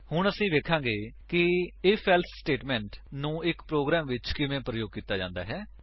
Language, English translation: Punjabi, We will now see how the If…else statement can be used in a program